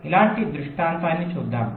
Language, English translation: Telugu, so let us look at a scenario like this